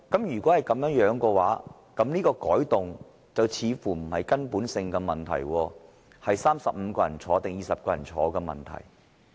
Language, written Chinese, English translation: Cantonese, 如果是這樣，有關的改動似乎不是根本性的問題，而是35人或20人在席的問題。, Such being case it seems that this amendment is not a question of fundamental principle but one about the presence of 35 Members or 20 Members